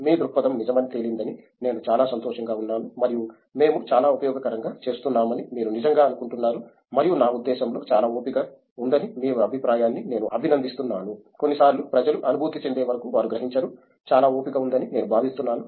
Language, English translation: Telugu, I think first of all I am very happy that your perspective turned out to be true and that you really do think that we are doing something very useful and I mean, I appreciate your point that there is a lot of patience involved which is I think some of the times, which people don’t realize till they get in, that there is a lot of patience involved